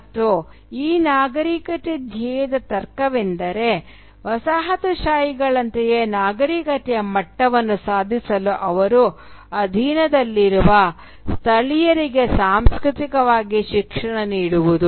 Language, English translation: Kannada, And the logic of this civilising mission was to culturally educate the subjugated natives so that they could attain the same level of civilisation as the colonisers